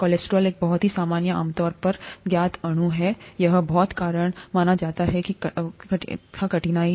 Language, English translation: Hindi, Cholesterol, is a very common, commonly known molecule, it was supposed to cause a lot of difficulty